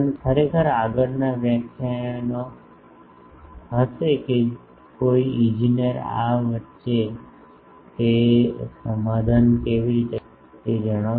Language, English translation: Gujarati, Actually, the next lectures will be actually how an engineer makes that compromise between these